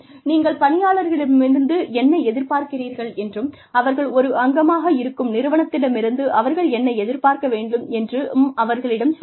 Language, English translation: Tamil, Tell employees, what you expect of them, what they should expect from the organization, that they are, a part of